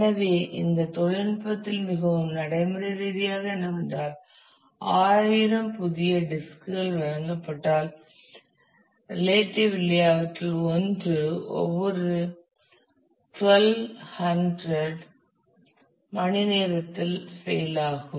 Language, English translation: Tamil, So, what it in technical in in more practical terms, what it means that if you are given thousand relatively new disks then on average one of them will fail every twelve hundred hours